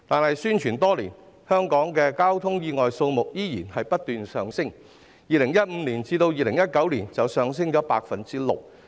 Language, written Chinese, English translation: Cantonese, 可是宣傳了多年，香港的交通意外數目仍然不斷上升，在2015年至2019年便上升了 6%。, However after years of publicity the number of traffic accidents in Hong Kong is still on the rise . From 2015 to 2019 it increased by 6 %